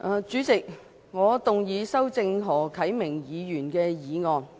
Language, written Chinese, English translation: Cantonese, 主席，我動議修正何啟明議員的議案。, President I move that Mr HO Kai - mings motion be amended